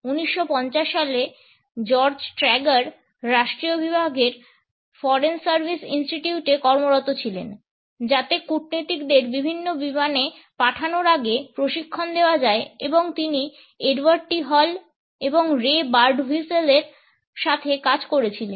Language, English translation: Bengali, During the 1950 George Trager was working at the foreign service institute of the department of state, in order to train diplomats before they were posted to different planes and here he was working with Edward T